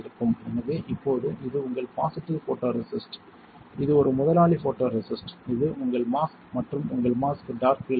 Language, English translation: Tamil, So, now, this is your positive photoresist, this is a bossy photoresist this is your mask and your mask is dark field mask